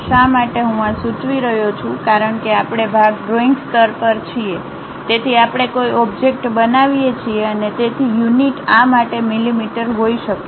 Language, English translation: Gujarati, Why I am suggesting this is because we are at part drawing level we construct an object with so and so units may be mm for this